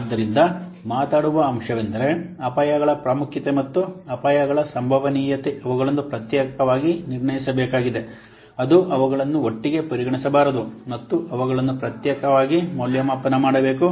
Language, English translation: Kannada, So the point of speaking is that the importance of the the risk as well as the likelihood of the risks, they need to be separately assessed